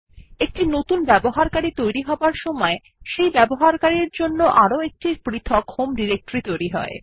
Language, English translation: Bengali, In the process of creating a new user, a seperate home directory for that user has also been created